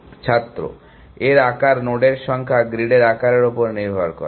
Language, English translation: Bengali, size of depends on the size of the grid the number of nodes